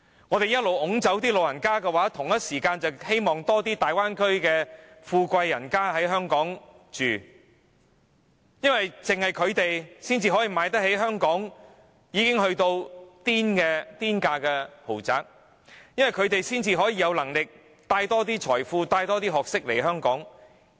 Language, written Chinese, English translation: Cantonese, 我們一直把長者趕走，同時間卻希望更多大灣區的富貴人家在香港居住，因為只有他們才可以負擔香港已經到了"癲價"的豪宅，才可以有能力為香港帶來更多財富、學識。, While we are driving the elderly people away we hope that more well - off people from the Bay Area can come to live in Hong Kong because they are the only people who can afford the exorbitant prices of luxurious apartments in Hong Kong and can bring more wealth and knowledge to Hong Kong